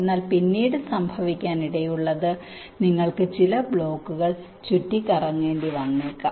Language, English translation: Malayalam, but what might happen later on is that you may find that you may have to move some blocks around